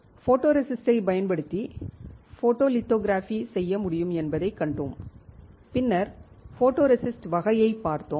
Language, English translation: Tamil, We have seen that, we can perform the photolithography using photoresist and then we have seen the type of photoresist